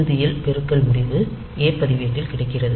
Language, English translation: Tamil, And at the end the multiplication result is available in the a register